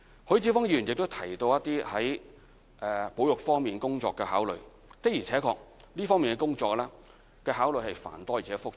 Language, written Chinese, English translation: Cantonese, 許智峯議員亦提到在保育方面工作的考慮，的而且確，這方面工作的考慮是繁多而且複雜的。, Mr HUI Chi - fung has spoken on considerations regarding heritage conservation . Indeed considerations in this aspect of work are voluminous and complicated